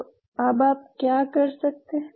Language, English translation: Hindi, So, then what you can do